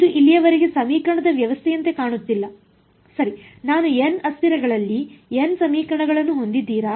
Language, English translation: Kannada, This does not look like a system of equation so far right, do I have n equations in n variables